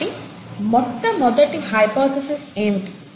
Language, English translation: Telugu, So, what was the first hypothesis